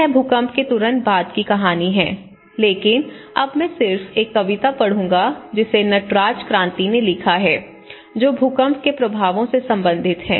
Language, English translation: Hindi, So, this is the story of immediately after the earthquake but now I will just read out a poem which has been written by Natraj Kranthi and it was at the moment of the earthquake impacts